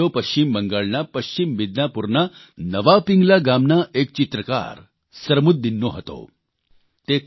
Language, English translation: Gujarati, That video was of Sarmuddin, a painter from Naya Pingla village in West Midnapore, West Bengal